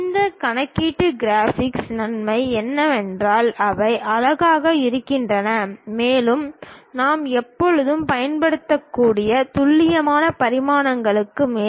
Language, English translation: Tamil, The advantage of these computational graphics is they look nice and over that precise dimensions we can always use